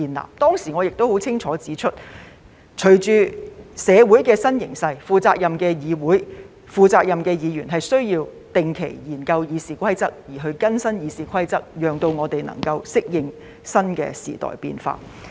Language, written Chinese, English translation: Cantonese, 我當時亦清楚指出，隨着社會的新形勢，負責任的議會、負責任的議員需要定期研究《議事規則》，並要更新《議事規則》，讓我們可以適應新的時代變化。, Back then I highlighted clearly that with the new trends in society a responsible legislature and responsible Members need to regularly review and update the Rules of Procedure RoP so that we can adapt to the changes in the new era